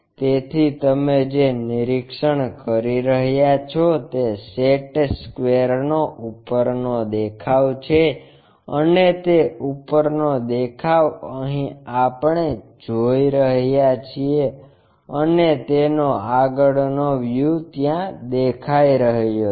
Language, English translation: Gujarati, So, what you are actually observing is top view of that set square and that top view here we are seeing and that front view one is seeing there